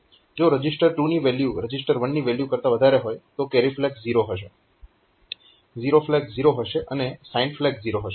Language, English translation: Gujarati, If register 2 is greater than register 1, then carry flag will be 0, zero flag will be 0, and sign flag will also be 0